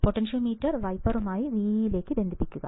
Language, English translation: Malayalam, Connect the potentiometer between the pins with wiper to vee